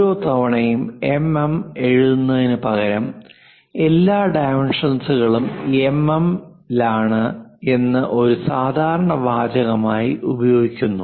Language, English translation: Malayalam, Instead of writing every time mm, we use all dimensions are in mm as a standard text